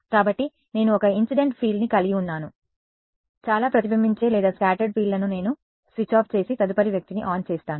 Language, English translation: Telugu, So, I have got one incident field so, many reflected or scattered fields then I switch it off and turn the next guy on